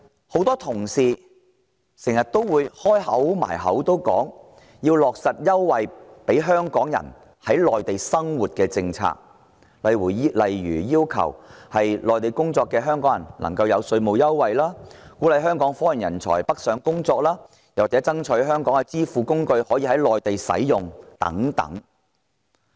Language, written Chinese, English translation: Cantonese, 很多同事經常掛在嘴邊，說要落實各項利便香港人在內地生活的優惠政策，例如要求給予在內地工作的香港人稅務優惠，鼓勵香港科研人才北上工作，或爭取香港的支付工具可以在內地使用等。, Many Honourable colleagues talk all the time about striving for the implementation of various preferential policies that provide convenience for Hong Kong people living on the Mainland such as requesting tax concessions be granted to Hong Kong people working on the Mainland encouraging scientific research talent in Hong Kong to go north for work or striving for enabled use of Hong Kong payment facilities on the Mainland